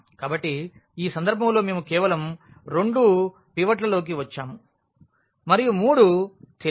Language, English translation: Telugu, So, in this case we got in only two pivots and there were three unknowns